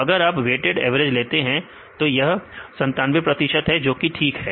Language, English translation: Hindi, So, if you take the weighted average this is 97 percentage that is fine